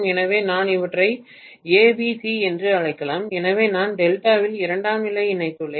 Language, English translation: Tamil, So I may call these as A, B, C so I have essentially connected the secondary in delta